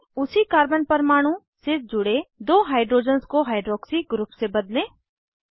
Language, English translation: Hindi, Substitute two hydrogens attached to the same carbon atom with hydroxy group